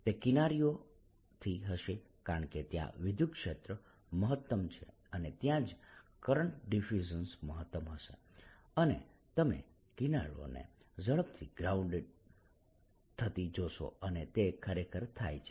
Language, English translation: Gujarati, it will from the edges, because that is where electric field is maximum and that is where the current of diffusion would be maximum, and you should see the edges getting brown faster, and that is indeed what happens, right